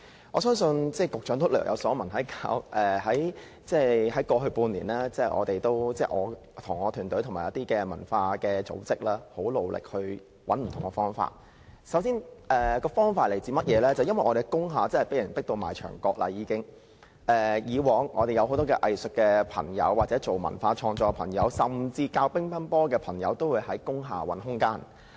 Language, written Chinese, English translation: Cantonese, 我相信局長也略有所聞，過去半年，我和我的團隊與一些文化組織很努力尋找不同的解決方法，因為我們在工廈真的已經被迫到牆角，以往我們有很多藝術界或從事文化創作的朋友，甚至教乒乓球的朋友都會在工廈找空間。, I believe the Secretary has heard that over the past six months I and my team together with some cultural groups have been working very hard to find different solutions because we are forced to a dead end in industrial buildings . In the past many arts practitioners or people pursuing cultural creation or even table tennis coaches tried to find room to operate in industrial buildings